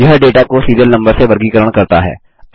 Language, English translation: Hindi, This groups the data by Serial Number